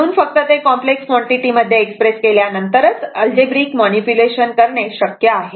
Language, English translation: Marathi, So, algebraic manipulations are possible only after expressing them as complex quantities right